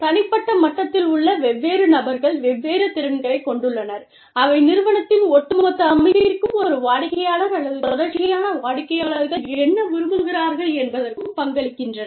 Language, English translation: Tamil, Different people at the individual level, have different skills, that they contribute, to the overall setting of the organization, and to what the organization is committed, to doing for a client or series of clients